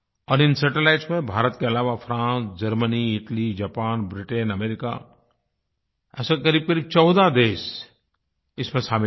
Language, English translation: Hindi, ' And besides India, these satellites are of France, Germany, Italy, Japan, Britain and America, nearly 14 such countries